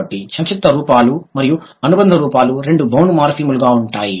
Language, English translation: Telugu, So, both the contractable forms and the affixes are bound morphems